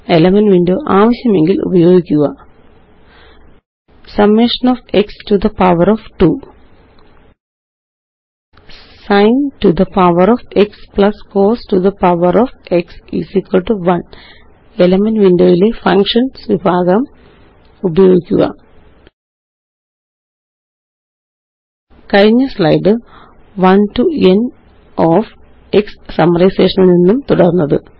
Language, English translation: Malayalam, Use Elements window if necessary Summation of x to the power of 2 Sin to the power of x plus cos to the power of x = 1 Continued from the previous slide Write Summation from 1 to n of x